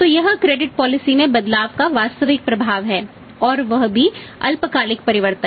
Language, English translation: Hindi, So, this is the actual effect of this is the actual effect of changes in the credit policy and that to the short time changes